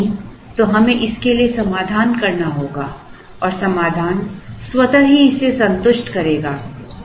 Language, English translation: Hindi, If not, we have to solve for this and the solution will automatically satisfy this